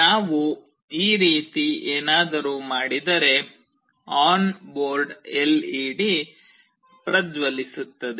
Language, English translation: Kannada, If we do something like this the on board led will start glowing